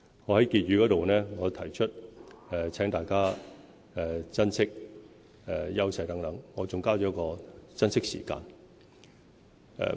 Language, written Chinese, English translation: Cantonese, 我在施政報告結語部分提到，請大家珍惜香港的優勢等，我還加上"珍惜時間"。, In the Conclusion of the Policy Address I ask people of Hong Kong to treasure the advantages of Hong Kong among other things and waste no time